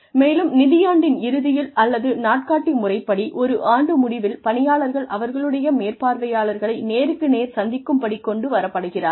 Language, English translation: Tamil, And then, at the end of that, either financial year or calendar year, employees are brought, face to face with their supervisors